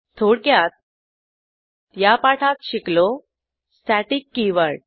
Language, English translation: Marathi, Let us summarize: In this tutorial, we learned, static keyword